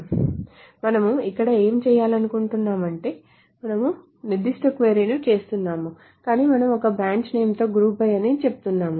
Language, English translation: Telugu, So what are we trying to do here is the following is that we are doing certain query but we are saying group by a branch name